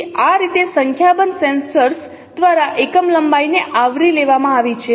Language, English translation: Gujarati, So this is how a unit length has been covered by that many number of sensors